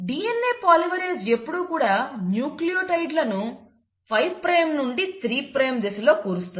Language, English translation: Telugu, And DNA polymerase always adds nucleotides in a 5 prime to 3 a prime direction